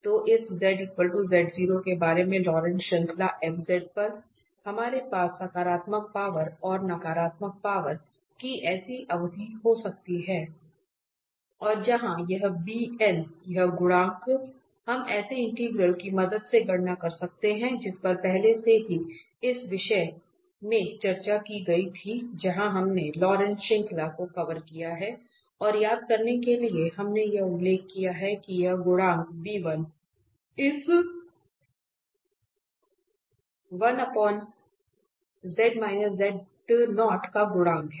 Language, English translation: Hindi, So, the Laurent series of this f z about this z equal to z naught we can have a such term so the positive powers and the negative powers and where this bn this coefficient we can compute with the help of such integral that was already discussed in this topic where we have covered the Laurent series and just to recall we have this mentioned there, that this coefficient b1 the first coefficient or the coefficient of this 1 over 1 minus z